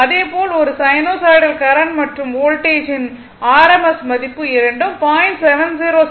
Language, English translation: Tamil, Similarly, the rms value of a sinusoidal current and voltage both are multiplied by 0